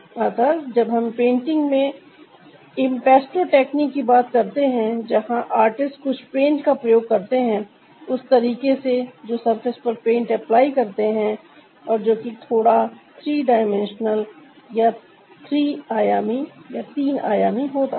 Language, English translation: Hindi, so when we talk about impasto technique in ah painting, ah, there the artist is using some the paints, the way they are applying the paints on the surface which is slightly three dimensional, so they are not smooth ah